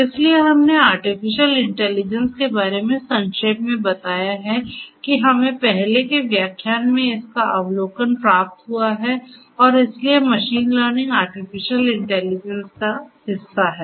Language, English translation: Hindi, So, we have spoken about artificial intelligence briefly we have got an overview of artificial intelligence in an earlier lecture and so, machine learning is nothing, but it is a subset of artificial intelligence